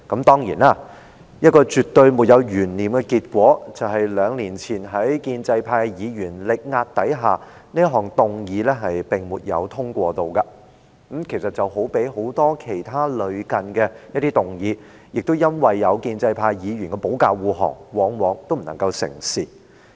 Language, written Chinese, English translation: Cantonese, 當然，在兩年前，一個絕對沒有懸念的結果是，在建制派議員力壓之下，這項議案不獲通過，與很多其他類似的議案一樣，因為有建制派議員的保駕護航而不能成事。, Of course two years ago it was a foregone conclusion that the amendment would be negatived under the pressure of pro - establishment Members . Like many other similar amendments it fell through because the pro - establishment Members let the Administration off the hook